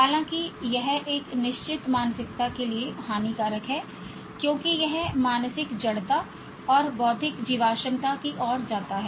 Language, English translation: Hindi, However, it's harmful to have a fixed mindset as it leads to mental inertia and intellectual fossilization